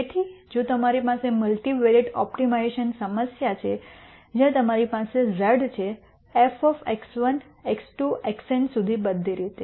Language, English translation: Gujarati, So, if you have a multivariate optimization problem where you have z is f of x 1, x 2 all the way up to x n